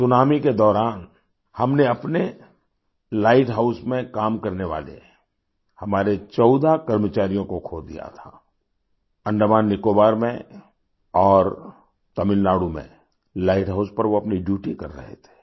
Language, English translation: Hindi, During the tsunami we lost 14 of our employees working at our light house; they were on duty at the light houses in Andaman Nicobar and Tamilnadu